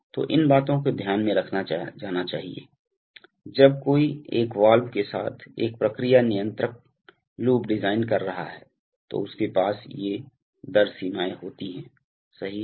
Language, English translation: Hindi, So these things are to be kept in mind, when one is designing a process control loop with a valve right, that they have these rate limits